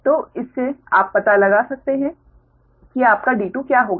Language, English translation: Hindi, so from that you can find out that what will be your d two, right